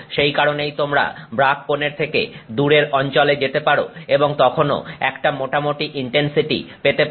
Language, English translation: Bengali, That is why you can go to regions away from the brag angle and still have a fair bit of intensity, right